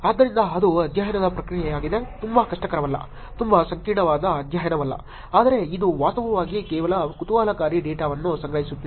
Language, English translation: Kannada, So that is the process of the study, not a very difficult, not a very complicated study but it is actually collecting some very interesting data